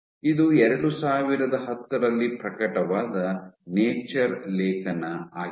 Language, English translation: Kannada, this is a Nature paper, 2010 paper